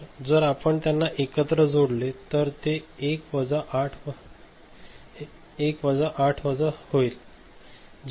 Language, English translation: Marathi, So, if you add them together so, it is minus 1 by 8